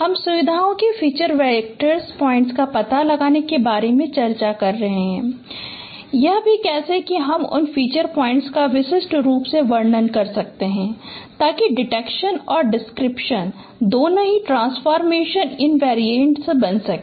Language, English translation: Hindi, We are discussing about detection of features, feature points and also how do you describe those feature points uniquely so that both detection and description becomes transformation invariant